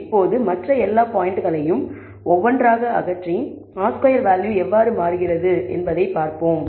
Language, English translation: Tamil, Now, let us remove all the other points one by one and let us see how the R squared value changes